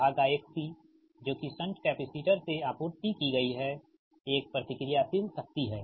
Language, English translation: Hindi, that is a reactive power supplied from the shunt capacitor